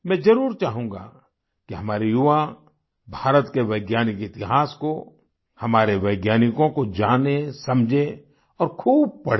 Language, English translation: Hindi, I definitely would want that our youth know, understand and read a lot about the history of science of India ; about our scientists as well